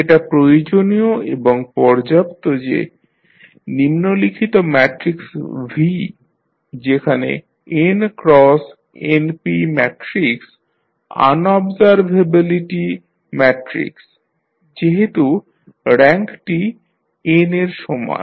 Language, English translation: Bengali, It is necessary and sufficient that the following matrix V that is n cross np matrix observability matrix as the rank equal to n